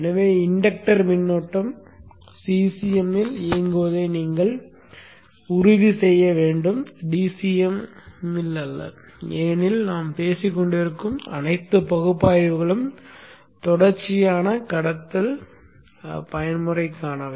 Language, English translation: Tamil, So you should ensure that the inductor current is operating in CCM and not in DCM because all the analysis that we have been talking about is for a continuous conduction mode